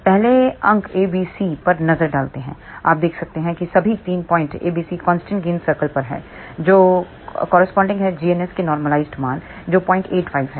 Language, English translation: Hindi, Let us first look at points A B C, you can see that all the 3 points A B C are on the constant gain circle which corresponds to normalize value of g ns which is 0